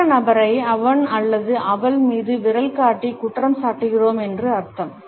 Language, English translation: Tamil, It means that we are accusing the other person by pointing the finger at him or her